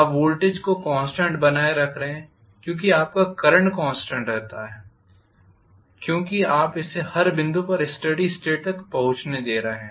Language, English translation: Hindi, You are keeping the voltage constant your current remains as a constant because you are allowing it to reach steady state at every point